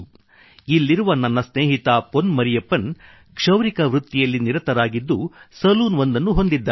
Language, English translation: Kannada, My friend from this town Pon Marriyappan is associated with the profession of hair cutting and runs a salon